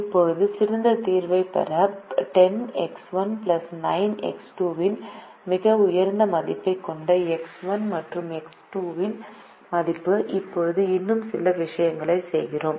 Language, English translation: Tamil, now, to get the best solution, the value of x one and x two, that has the highest value of ten x one plus nine x two